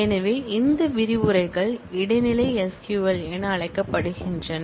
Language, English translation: Tamil, So, these modules are called intermediate SQL